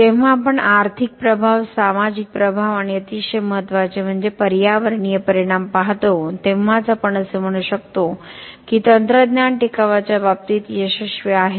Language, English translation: Marathi, Only when we look at the economic impact, the social impact and very importantly the environmental impact we can say that the technology is successful in terms of sustainability ok